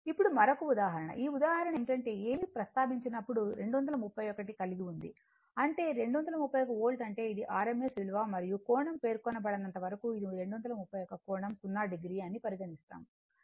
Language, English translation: Telugu, Now, next another example, this example is that you have a that you have a 231 whenever nothing is mentioned; that means, 231 Volt means it is RMS value and all the time we assume it is angle say unless and until it is specified say 231 angle, 0 degree right and another thing is the load is given 0